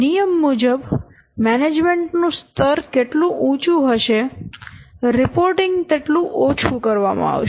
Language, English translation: Gujarati, So, as per the rule, the higher the management level, the less frequent is this what reporting